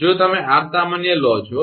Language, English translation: Gujarati, If you take r common right